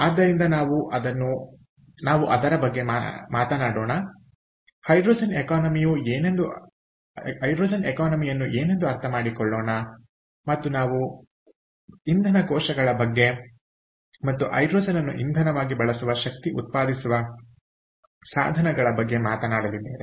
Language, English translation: Kannada, ok, so lets talk about that, lets understand what hydrogen economy means, what it is, and, and also we are going to talk about fuel cells, which is again and energy generating device that uses hydrogen as the fuel